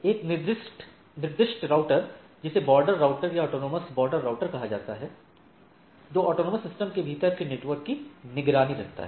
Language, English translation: Hindi, There is a designated router called border router, autonomous border router; which keeps the informations of all all the, of the network within the autonomous systems